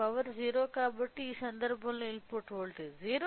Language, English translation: Telugu, So, since the power is 0, the input voltage is 0 in this case